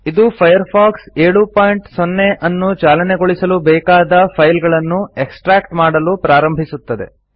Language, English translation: Kannada, This will start extracting the files required to run Firefox 7.0